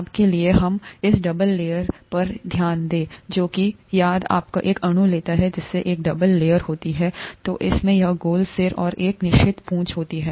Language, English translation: Hindi, For now, let us focus on this double layer here, which has, if you take one molecule that comprises a double layer, it has this round head and a certain tail